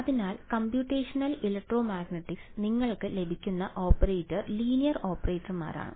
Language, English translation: Malayalam, So, the operators that you get in Computational Electromagnetics are linear operators